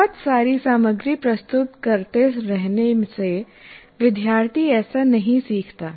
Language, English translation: Hindi, By keeping on presenting a lot of material, the student doesn't learn